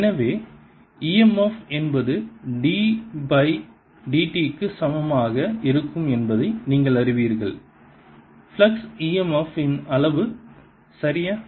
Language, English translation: Tamil, so you know as such that e m f is equal to d by d t, the flux, the magnitude of e m f